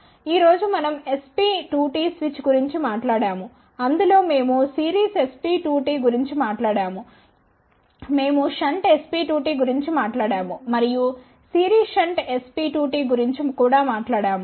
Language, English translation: Telugu, Today we talked about SP2T switch in that we talked about series SP2T, we talked about shunt SP2T, and we also talked about series shunt SP2T